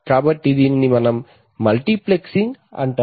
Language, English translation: Telugu, So this is called multiplexing